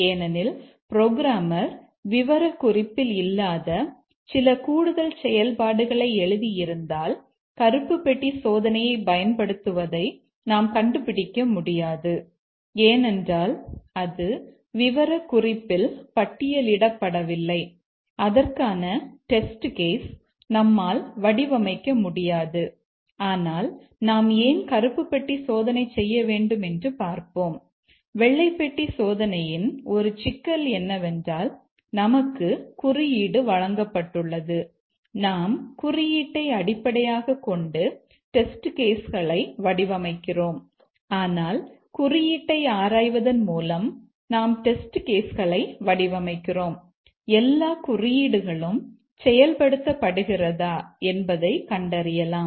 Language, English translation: Tamil, Because if the programmer has written some extra functionality not there in the specification, we cannot detect that using black box testing because it is not listed in the specification and you cannot design test cases for that